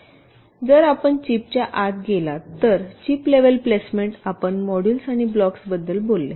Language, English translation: Marathi, well now, if you go inside the chip chip level placement, you talked about the modules and the blocks